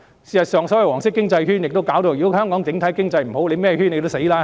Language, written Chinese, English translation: Cantonese, 事實上，所謂黃色經濟圈，如果香港整體經濟差，甚麼圈也會失敗。, In fact any circle even the so - called yellow economic circle will be doomed to failure if the overall economy of Hong Kong is poor